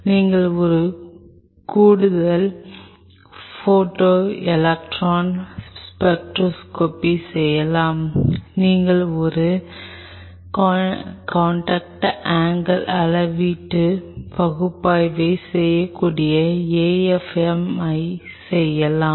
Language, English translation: Tamil, You can do an extra photoelectron spectroscopy you can do an AFM you can do a contact angle measurement analysis